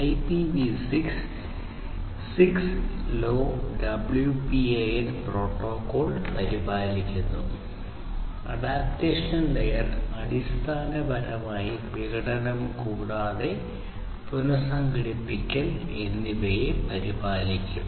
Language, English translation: Malayalam, So, this IPv6 will take care of not IPv6 the 6LoWPAN protocol, the adaptation layer will basically take care of both the fragmentation as well as the reassembly